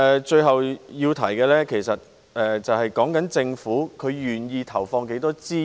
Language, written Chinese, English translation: Cantonese, 最後要提的是，政府願意投放多少資源。, Lastly I would like to talk about how many resources the Government is willing to put in